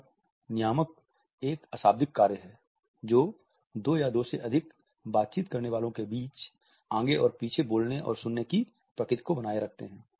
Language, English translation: Hindi, Now, regulators are nonverbal acts which maintain and regulate the back and forth nature of a speaking and listening between two or more interactants